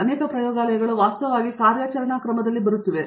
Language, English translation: Kannada, So, many labs are actually getting on a campaign mode